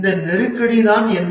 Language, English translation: Tamil, But what is this crisis